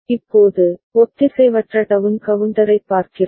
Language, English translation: Tamil, Now, we look at asynchronous down counter ok